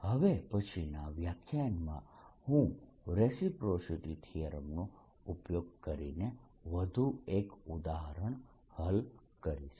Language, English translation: Gujarati, in the next lecture i'll solve one more example using reciprocity theorem